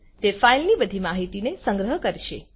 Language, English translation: Gujarati, It will store all the information about the file